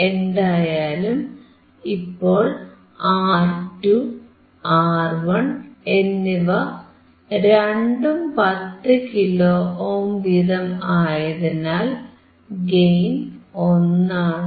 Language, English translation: Malayalam, Now my gain is 1, because R2 and R1 both are 10 kilo ohm, R1 = R2 = 10 kilo ohm so, my gain is 1